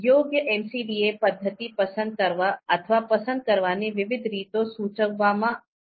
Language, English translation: Gujarati, Now different ways of picking or selecting appropriate MCDA methods have been suggested